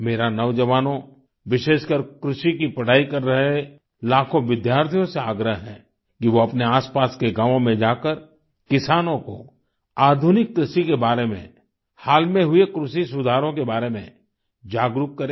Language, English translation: Hindi, To the youth, especially the lakhs of students who are studying agriculture, it is my request that they visit villages in their vicinity and talk to the farmers and make them aware about innovations in farming and the recent agricultural reforms